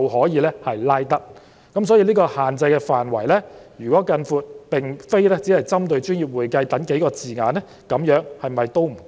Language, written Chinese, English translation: Cantonese, 因此，如果將限制範圍擴大至並非只針對"專業會計"等數個字眼，是否仍不足夠？, In that case is it still insufficient to extend the scope of the restriction to include not only those few terms relating to professional accounting?